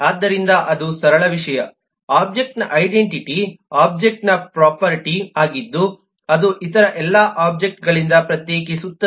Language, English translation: Kannada, so that’s the simple thing, the identity of an object is a, that property of an object which distinguishes it from all other objects